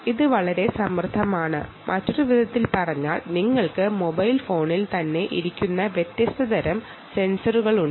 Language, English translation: Malayalam, in other words, you have ah different types of sensors sitting on the mobile phone itself